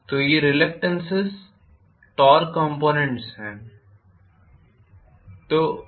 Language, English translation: Hindi, So these are reluctance torque components